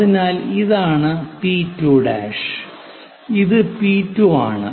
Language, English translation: Malayalam, So, this is P 2 prime and this one P 2